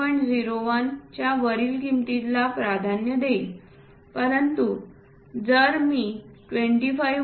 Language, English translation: Marathi, 01 is preferred, but if I go below 25